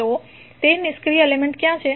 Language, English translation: Gujarati, So, what are those passive elements